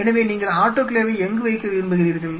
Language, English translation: Tamil, So, and where you wanted to put the autoclave